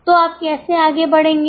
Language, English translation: Hindi, So, now how will you go ahead